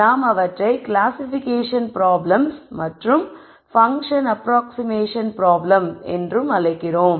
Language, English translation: Tamil, So, I am going to call these as classification problems and function approximation problems